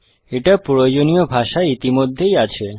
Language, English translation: Bengali, It is already in the required language